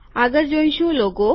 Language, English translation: Gujarati, The next one is logo